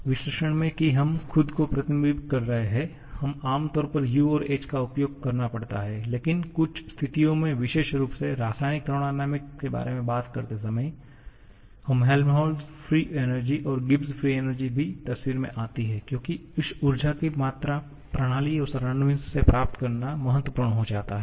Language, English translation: Hindi, In the analysis that we are restricting ourselves, we generally have to use U and H but in certain situations particularly when talking about the chemical thermodynamics, this Helmholtz free energy and Gibbs free energy also comes into picture because there this amount of energy the system is receiving from the surrounding becomes important